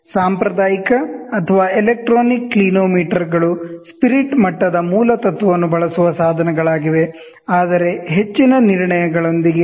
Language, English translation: Kannada, Conventional or electronic clinometers are instruments employed the basic principle of spirit level, but with very high resolutions